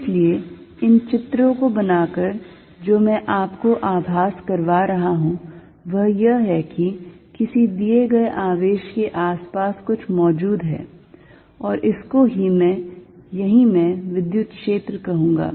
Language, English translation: Hindi, So, by making these pictures, what I am making you feel is that, something exists around a given charge and that is what I am going to call electric field